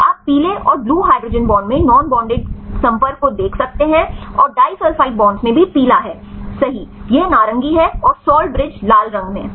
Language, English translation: Hindi, You can see non bonded contacts in yellow and the hydrogen bonds in blue and disulfide bonds this is also yellow right this is orange and the salt bridges in red right